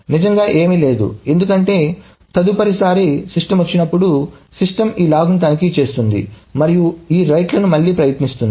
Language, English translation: Telugu, Nothing really, because the next time the system comes up, the system will check this log and will attempt these rights again